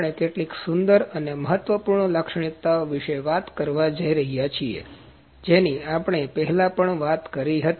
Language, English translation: Gujarati, We are going to talk about a few beautiful and important features that we talked before as well